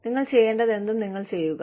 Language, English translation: Malayalam, You do, whatever you need to do